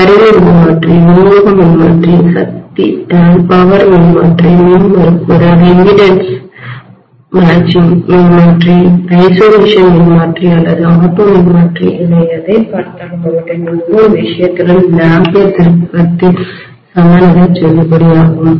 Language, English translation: Tamil, Whether we are looking at instrument transformer, distribution transformer, power transformer, impedance matching transformer, isolation transformer or auto transformer in every case this ampere turn balance is valid, right